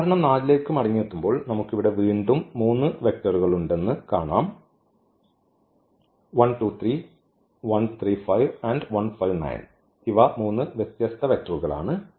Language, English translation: Malayalam, Coming back to this example 4, we will see that again we have three vectors here 1 2 3, 1 3 5, and 1 5 9 these are three different vectors